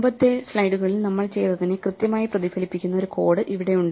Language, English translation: Malayalam, Here we have code which exactly reflects what we did in the slides